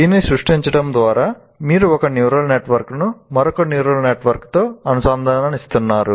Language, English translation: Telugu, By creating this, once again, you are interconnecting one neural network to another neural network